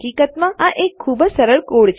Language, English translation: Gujarati, So obviously, this is a very simple code